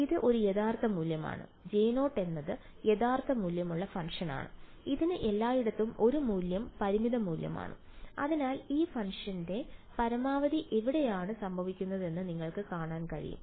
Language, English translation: Malayalam, It is a real value; J 0 is the real valued function it has a value finite value everywhere, so you can see the maxima of this function is happening where